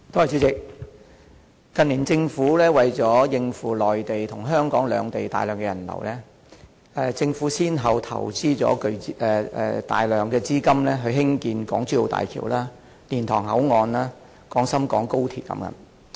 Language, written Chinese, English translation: Cantonese, 主席，近年政府為了應付內地和香港兩地的大量人流，先後投資大量資金興建港珠澳大橋、蓮塘口岸、廣深港高速鐵路等。, President in recent years in order to cope with the huge flow of people between the Mainland and Hong Kong the Government has invested an enormous amount of capital in the development of the Hong Kong - Zhuhai - Macao Bridge Liantang boundary control point Guangzhou - Shenzhen - Hong Kong Express Rail Line and so on